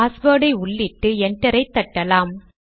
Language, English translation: Tamil, Let us type the password and press enter